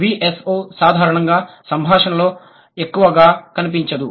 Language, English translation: Telugu, V S O is generally we don't see it in the discourse much